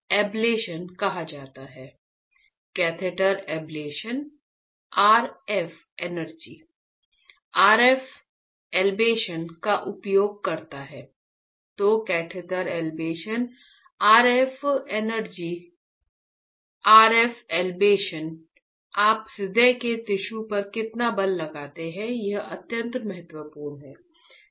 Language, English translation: Hindi, So, catheter ablation RF energy RF ablation, how much force you apply on the tissue on the heart tissue is extremely important